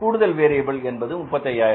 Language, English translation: Tamil, Increase in the variable cost is 35,000